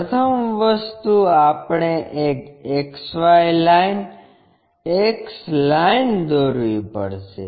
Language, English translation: Gujarati, First thing, we have to draw a XY line, X line, Y line